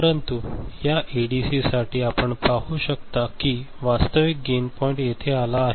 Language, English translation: Marathi, But, for this ADC, you can see that the actual gain point has come over here right